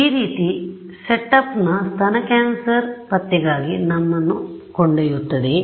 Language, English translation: Kannada, This sort of brings us to the setup of for breast cancer detection ok